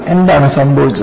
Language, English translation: Malayalam, So, why this has happened